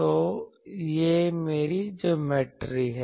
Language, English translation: Hindi, So, this is my geometry